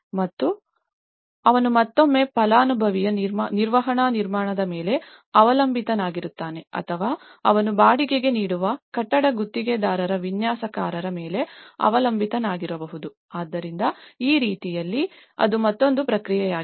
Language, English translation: Kannada, And he again relies on the either a beneficiary managed construction or it could be he relies on the designers of the building contractors who hire, so in that way, that is another process